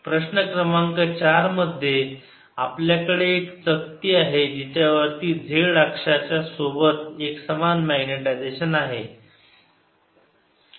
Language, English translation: Marathi, in question number four, we have a disc which has the information magnetization along the z axis